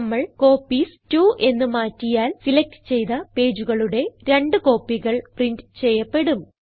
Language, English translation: Malayalam, If we change Copies to 2, then 2 copies of the selected pages will be printed